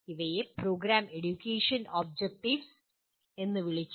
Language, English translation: Malayalam, These are called Program Educational Objectives